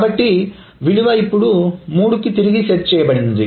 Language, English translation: Telugu, So the value is now set back to three